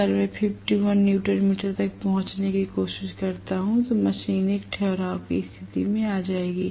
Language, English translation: Hindi, If, I try to reach 51 newton meter the machine will come to a standstill situation